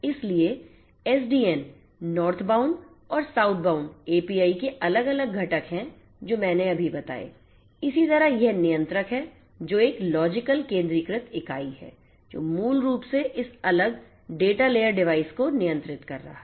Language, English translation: Hindi, So, there are different components of the SDN Northbound and Southbound APIs are the ones that I just mentioned likewise there is this controller which is a logical centralized entity which is basically controlling this different data layer devices